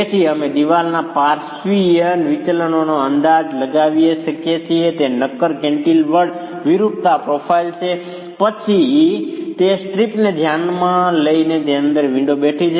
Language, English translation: Gujarati, So, we could estimate the deflections of the lateral deflections of the wall, assuming it to be solid cantileverver deformation profile, then consider the strip within which the windows are sitting